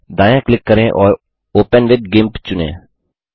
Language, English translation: Hindi, Now, right click and select Open with GIMP